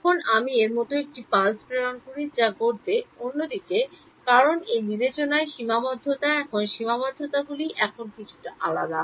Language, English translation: Bengali, Now, I send a pulse like this some other direction what will happen, because this discretization is finite the approximations are now slightly different right